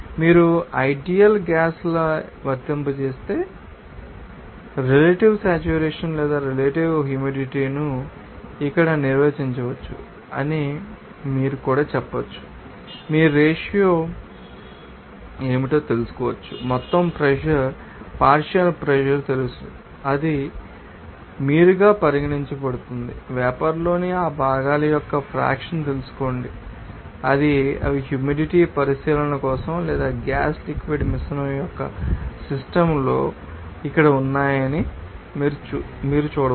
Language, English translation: Telugu, And also you can say that, if you apply the ideal gas law, the relative saturation or relative humidity can be defined as here you can see that what is the ratio of you know partial pressure to the total pressure it would be regarded as simply you know that mole fraction of that components in the vapor or you can see they are here in itself for the humidity consideration or in a system of gas liquid mixture, they are